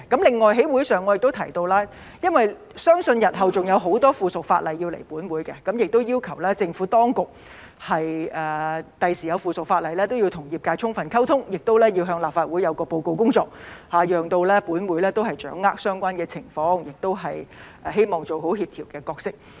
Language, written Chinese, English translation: Cantonese, 另外，我在會議上亦提到，因為相信日後還有很多相關附屬法例要提交本會，要求政府當局未來提交附屬法例時，都要與業界充分溝通，也要向立法會報告工作，讓本會掌握相關的情況，亦希望做好協調的角色。, In addition I have also mentioned at the meetings that as I believe there would be a lot of relevant subsidiary legislation to be tabled in this Council in the future I have requested the Administration when it is time to do so in the future to fully communicate with the profession and report to the Legislative Council on its work so that this Council could grasp the relevant situation . And I also hope it will play a good coordinating role